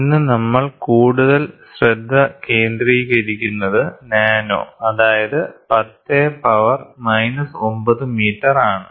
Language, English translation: Malayalam, Today we are more focused towards nano because nano is 10 to the power minus 9 metres